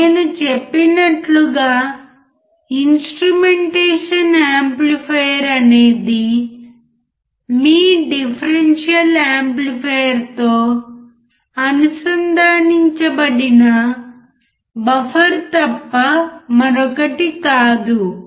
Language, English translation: Telugu, Like I said instrument amplifier is nothing but buffer connected or integrated with your differential amplifier